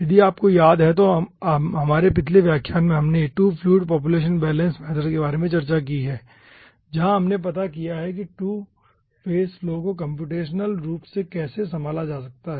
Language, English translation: Hindi, if you remember, in our last lecture we have discussed about 2 fluid population balance method, where we have dealt how ah dispersed 2 phase flow can be held computationally